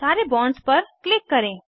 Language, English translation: Hindi, Then click on all the bonds